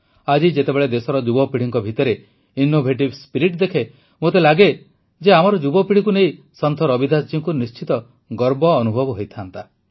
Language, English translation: Odia, Today when I see the innovative spirit of the youth of the country, I feel Ravidas ji too would have definitely felt proud of our youth